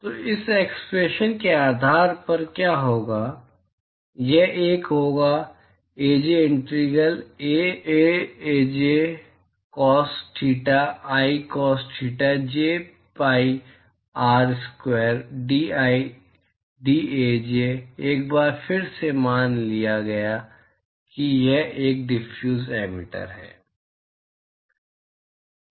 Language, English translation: Hindi, So, what will that be based on this expression, it will be 1 by Aj integral Ai Aj cos theta i cos theta j pi R square dAi dAj, once again this assumed that it is a diffuse emitter